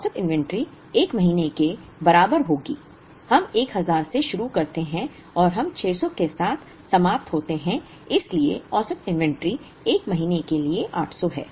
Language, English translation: Hindi, Average inventory will be equal to, 1st month we begin with 1000 and we end with 600 so the average inventory is 800 for the 1st month